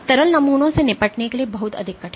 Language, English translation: Hindi, Liquid samples are much more difficult to deal with